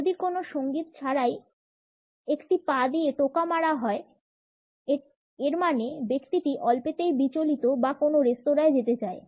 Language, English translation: Bengali, If a foot is tapping and there is no music; that means, the person is nervous or wants to go; go to restaurants much